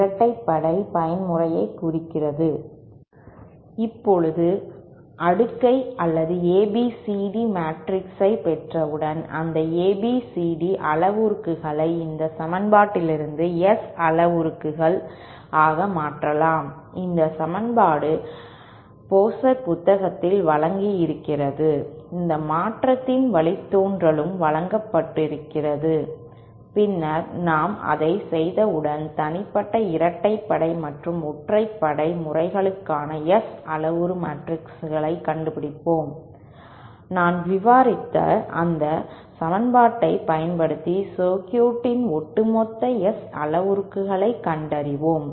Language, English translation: Tamil, Now, once we get the cascade or ABCD matrix, we can convert those ABCD parameters to the S parameters from this equation, this equation is given in the book by Pozart, the derivation of this conversion is also given and then once we do that, we will get the, once we do that, we find out the S parameters for the individual even and odd modes, from that we can find out the overall S parameters of the circuit using this equation that I just described